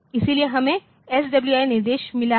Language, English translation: Hindi, So, we have got that SWI instruction